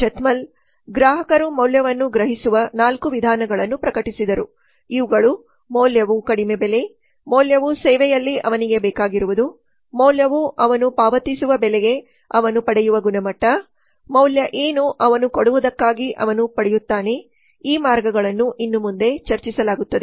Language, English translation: Kannada, so in 1988 Professor Valerie A Zeithaml published the four ways in which customers perceive value these are value is low price value is whatever he wants uhh in in a service value is the quality he gets for price he pays value is what he gets for what he gives these ways are discussed henceforth